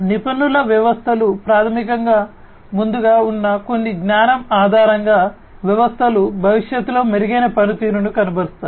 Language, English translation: Telugu, Expert systems are basically the ones where based on certain pre existing knowledge the systems are going to perform better in the future